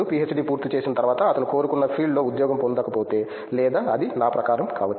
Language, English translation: Telugu, After finishing PhD if he not get job with desired field or whatever it may be according to me